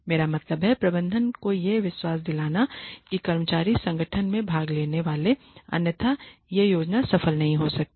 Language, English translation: Hindi, I mean the management has to be convinced that employees are going to be part owners in the organization otherwise this plan cannot succeed